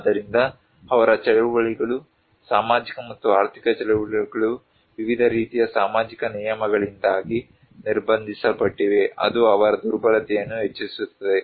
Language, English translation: Kannada, So, their movements, social and economic movements are restricted because of various kind of social norms which actually increase their vulnerability